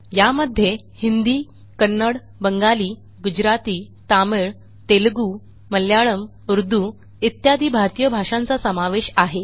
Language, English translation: Marathi, This includes most widely spoken Indian languages including Hindi, Kannada, Bengali, Gujarati, Tamil, Telugu, Malayalam, Urdu etc